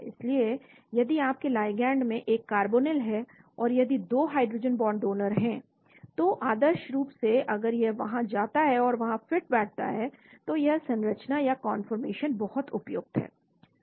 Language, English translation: Hindi, So if you have a carbonyl in your ligand, and if there are 2 hydrogen bond donors, so ideally if it goes and fits there, then that conformation is very suitable